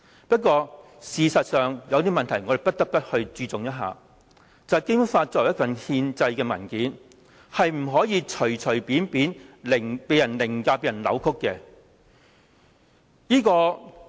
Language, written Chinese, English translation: Cantonese, 不過，事實上，有些問題我們不得不注重，便是《基本法》作為一份憲制文件，不能隨便被人凌駕和扭曲。, But there is one fact one problem the importance of which we just cannot ignore―the Basic Law as a constitutional document must not be lightly overridden and distorted